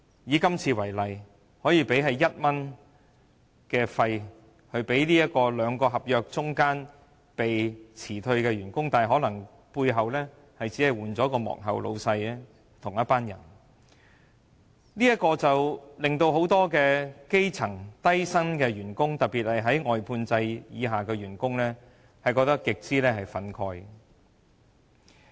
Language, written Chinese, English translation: Cantonese, 以今次為例，外判商用1元來遣散兩份合約之間被辭退的員工，但其實幕後僱主可能是同一班人，令到很多低薪的基層員工，特別是外判制的員工極為憤慨。, Workers dismissed between the two contracts were given 1 as severance pay by the contractors . But actually the employers behind the scene probably belonged to the same group . Many low - pay grass - roots workers especially outsourced workers therefore felt very indignant